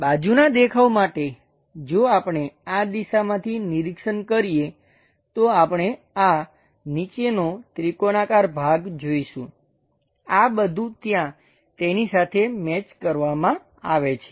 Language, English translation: Gujarati, For side view, if we are observing from this direction, we see these bottom triangular portion; this entire thing is mapped on to that region